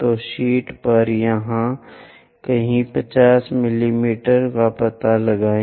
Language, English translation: Hindi, So, on the sheet locate 50 mm somewhere here